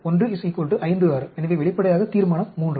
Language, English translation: Tamil, 1 is equal to 56, so obviously resolution III